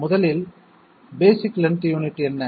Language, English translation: Tamil, First of all, what is the basic lead unit